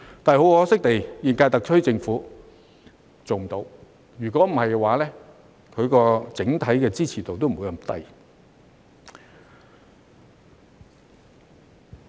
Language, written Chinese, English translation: Cantonese, 但很可惜，現屆特區政府做不到，否則其整體支持度也不會這麼低。, But unfortunately the current - term SAR Government has failed to do so otherwise its overall support rating would not be so low